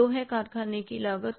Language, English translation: Hindi, Two factory cost